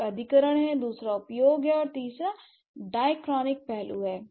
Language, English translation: Hindi, So, one is acquisition, second is use, and then third one, third is diachronic aspect